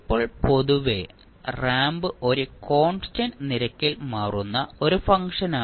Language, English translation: Malayalam, Now, in general the ramp is a function that changes at a constant rate